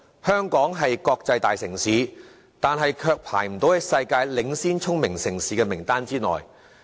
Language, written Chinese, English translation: Cantonese, 香港雖是國際大城市，但卻未能躋身世界領先聰明城市名單內。, As an international metropolis Hong Kong is not among the worlds leading smart cities yet